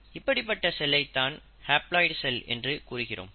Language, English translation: Tamil, So such a cell is called as a haploid cell